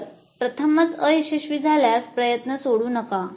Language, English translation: Marathi, So do not abandon if it fails the first time